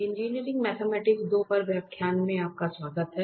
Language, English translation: Hindi, So, welcome back to lectures on Engineering Mathematics 2